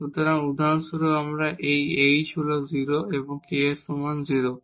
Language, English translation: Bengali, So, for example, this is h is equal to 0 and k is equal to 0